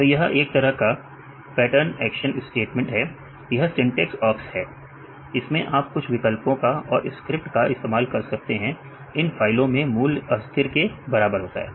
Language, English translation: Hindi, So, it is kind of pattern action statement, this is syntax awks you can use some options and this is script you can use, variable equal to value of these files